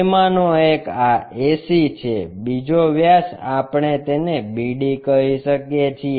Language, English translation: Gujarati, One of the diameter is this AC, the other diameter we can make it like BD